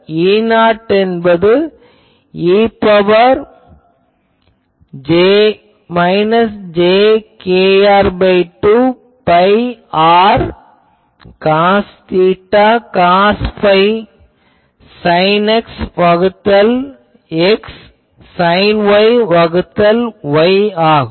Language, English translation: Tamil, E not e to the power minus jkr by 2 pi r cos theta cos phi sin X by X sin Y by Y